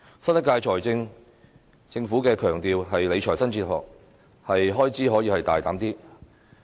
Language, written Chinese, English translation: Cantonese, 新一屆政府強調理財新哲學，可以大膽增加開支。, The new Government places emphasis on its new fiscal philosophy claiming that it should boldly increase expenditure